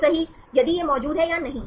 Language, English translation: Hindi, Right if it is present or not